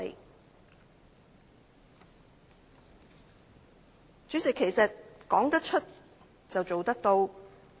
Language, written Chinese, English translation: Cantonese, 代理主席，說得出，便要做得到。, Deputy President one should walk his talk